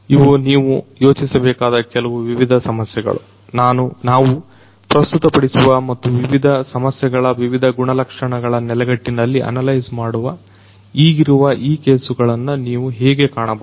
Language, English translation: Kannada, These are some of the different issues that you should think about how you can look at these existing these cases that we are going to present and analyze in respect of these different issues, these different attributes